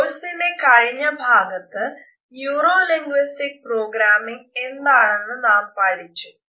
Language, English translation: Malayalam, In the previous module we had referred to Neuro linguistic Programming